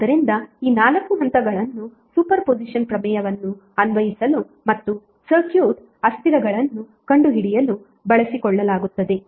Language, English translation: Kannada, So these 4 steps are utilize to apply the super position theorem and finding out the circuit variables